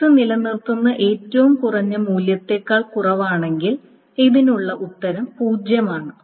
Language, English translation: Malayalam, Now once more, if x is less than the minimum value that is maintained, then the answer to this is 0